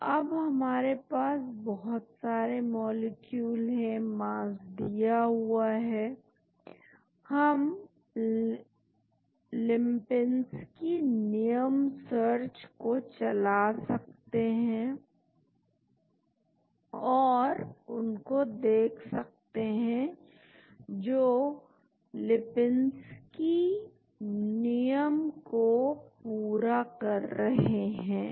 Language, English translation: Hindi, So, now, there are lot of molecules, mass is given we can run Lipinsky’’s rule search and find out those which satisfy Lipinskys rule